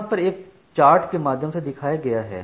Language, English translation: Hindi, And here is an example chart for that